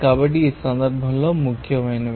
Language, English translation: Telugu, So, in this case, these are important